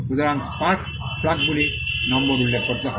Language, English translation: Bengali, So, the spark plugs the number has to be referred